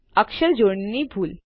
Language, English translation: Gujarati, a spelling mistake...